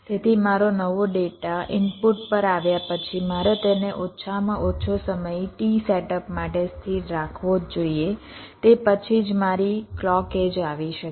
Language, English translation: Gujarati, so after my new data has come to the input, i must keep it stable for a minimum amount of time: t set up only after which my clock edge can come